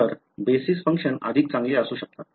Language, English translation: Marathi, So, basis functions can be better